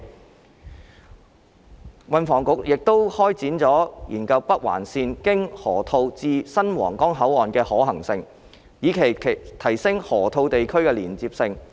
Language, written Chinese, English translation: Cantonese, 運輸及房屋局亦會開展研究北環綫經河套至新皇崗口岸的可行性，以期提升河套地區的連接性。, The Transport and Housing Bureau will also commence a feasibility study on connecting the Northern Link with the new Huanggang Port via the Loop to enhance the connectivity of the Loop